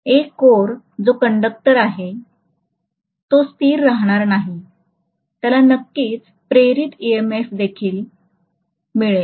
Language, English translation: Marathi, But the core which is a conductor, that is also not going to keep quiet, that will also definitely have an induced EMF